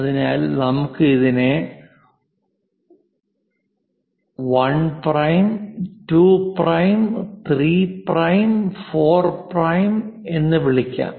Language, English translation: Malayalam, So, let us call 1 prime, 2 prime, 3 prime, 4 prime